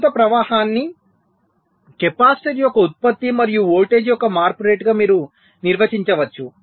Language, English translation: Telugu, so you can define the current flowing as the product of the capacitor and the rate of change of voltage